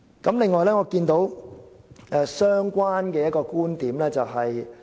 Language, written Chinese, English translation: Cantonese, 此外，我注意到一個相關觀點。, Besides I have also noticed a related viewpoint